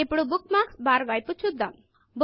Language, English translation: Telugu, Now lets look at the Bookmarks bar